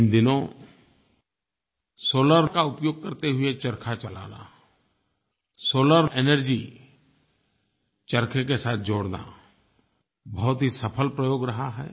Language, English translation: Hindi, Running charkha with solar and linking solar energy with Charkha have become a successful experiment